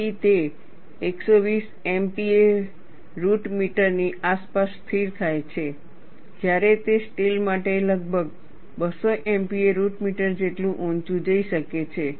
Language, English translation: Gujarati, So, it stabilizes around 120 M p a root meter, whereas it can go as high has around 200 M p a root meter for steel